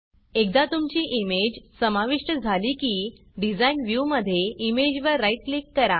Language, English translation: Marathi, Once your image has been added, in the Design view right click on the image